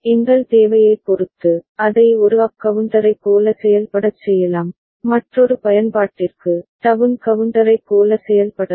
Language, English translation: Tamil, And depending on our requirement, we can make it work like a up counter, and for another use, we can make it work like a down counter